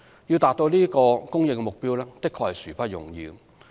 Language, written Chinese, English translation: Cantonese, 要達到這項供應目標的確殊不容易。, It is indeed by no means easy to meet such a supply target